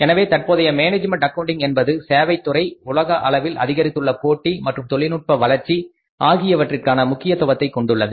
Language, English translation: Tamil, So, the current management accounting trends include the importance of services sector and the increased global competition and third one is the advance, advances in technology